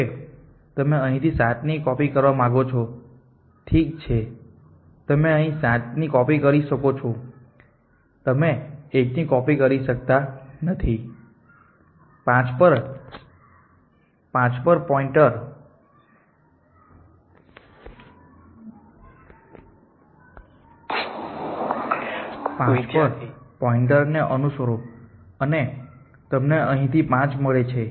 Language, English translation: Gujarati, So, you follow this point a from here and take 2 so you copy to 2 here then you want to copy 7 here from here that is if you copy 7 here 1 you cannot copy so if follow the point at to 5 and you get 5 here